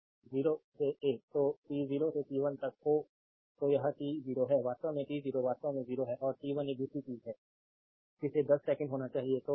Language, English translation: Hindi, So, t 0 to t 1; so, this is t 0 actually t 0 actually 0 and t 1 is one second right another thing is you want in between 2 second